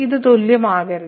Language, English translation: Malayalam, So, this cannot be equal